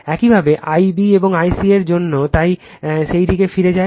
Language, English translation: Bengali, Similarly, for I b and I c so, will go back to that